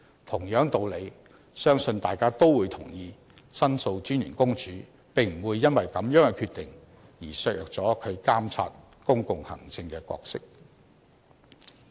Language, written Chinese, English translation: Cantonese, 同樣道理，相信大家都會同意申訴專員公署並不會因為這樣的決定，而削弱了其監察公共行政的角色。, By the same token I believe that Members will agree that the role of Office of The Ombudsman in monitoring public administration will not be weakened due to this decision